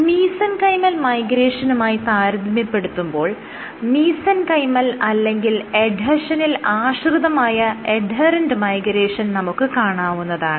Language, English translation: Malayalam, Now, compared to Mesenchymal Migration, you have mesenchymal or adhesion dependent or adherent